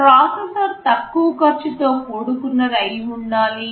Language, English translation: Telugu, The processor should be a low cost thing